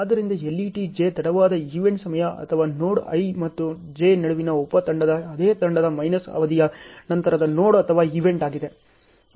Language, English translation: Kannada, So, the LET j is late event time or the succeeding node or event along the same team minus duration of the sub team between the node i and j